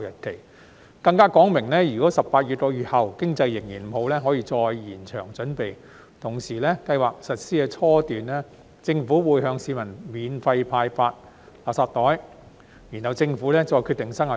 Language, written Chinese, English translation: Cantonese, 政府更表明，如果18個月後經濟仍然不理想，可以再延長準備期，同時計劃在實施初期，會向市民免費派發垃圾袋，之後再決定生效日期。, The Government has also made it clear that if the economy remains unsatisfactory 18 months later the preparatory period can be extended and that it has planned to distribute free garbage bags to the public during the early stage of implementation of the scheme while the commencement date will be decided later